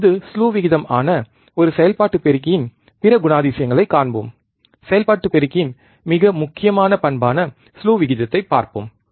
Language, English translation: Tamil, Now, let us see the other characteristics of an operational amplifier which is the slew rate, very important characteristics of the operational amplifier let us see, slew rate right